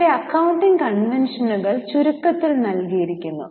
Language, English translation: Malayalam, Now, here the accounting conventions are given in short